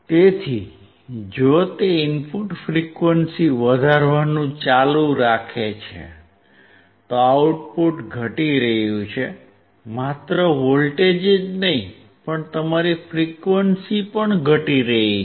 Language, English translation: Gujarati, So, if he keeps on increasing the input frequency, the output is decreasing, not only voltage, but also your frequency